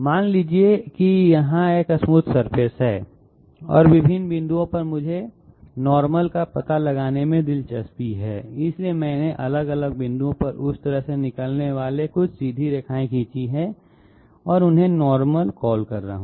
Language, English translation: Hindi, Suppose there is a smooth surface here and at different points I am interested to find out the normal, so I have drawn some you know some straight lines emanating from that surface at different points and I am calling them the normal, what is the normal